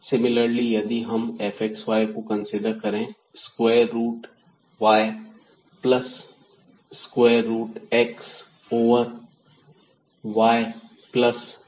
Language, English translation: Hindi, Similarly, if we consider this 1 f x y is equal to square root y plus square root x over y plus x